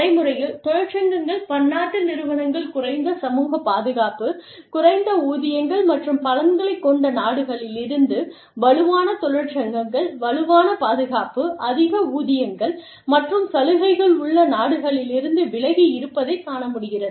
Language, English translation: Tamil, In practical terms, unions view multi national enterprises, as being able to locate work in countries, with lower social protections, and lower wages and benefits, staying away from countries, with stronger unions, and stronger protection, and higher wages and benefits